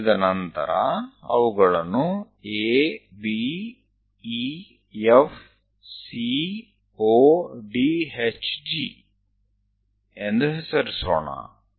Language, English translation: Kannada, Once it is done, name A, B, E, F, C, O, D, H, G